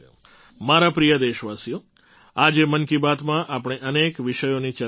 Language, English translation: Gujarati, My dear countrymen, today in 'Mann Ki Baat' we have discussed many topics